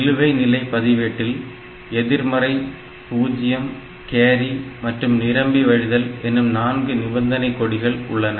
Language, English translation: Tamil, So, current program status register it has got 4 condition flags negative, zero, carry and overflow